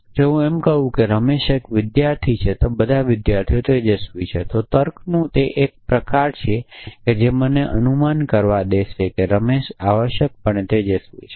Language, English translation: Gujarati, Socrates is mortal if I say Ramesh is a student all students are bright then the same form of reasoning will allow me to infer that Ramesh is bright essentially